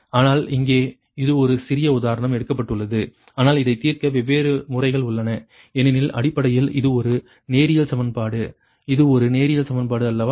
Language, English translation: Tamil, but ah, different methods are there to solve this because basically, its a linear equation, its a linear equation, isnt it